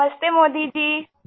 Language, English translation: Urdu, Namastey Modi ji